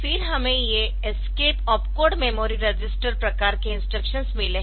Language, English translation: Hindi, Then we have got these escape opcode memory registers type of instructions